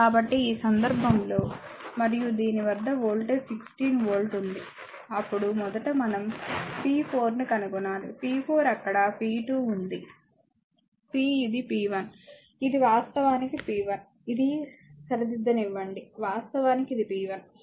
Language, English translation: Telugu, So, in this case and across this voltage is 16 volt, then first we have to find out p 4, p 4 is there p 2, p this is p 1, this is actually p 1, just hold on let me correct this is actually your p 1 right this is p 1